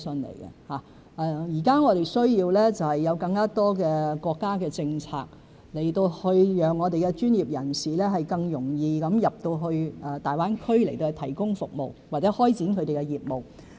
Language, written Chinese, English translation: Cantonese, 現時我們需要更多國家政策讓專業人士更容易進入大灣區提供服務，或開展他們的業務。, We now need more national policies to make it easier for professionals to gain access to GBA to provide their services or start their businesses